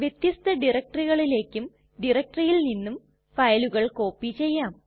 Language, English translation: Malayalam, You can also copy files from and to different directories.For example